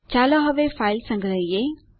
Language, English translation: Gujarati, Let us save the file now